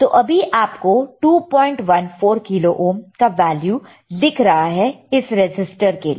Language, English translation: Hindi, 14 kilo ohm is the value of this resistor, right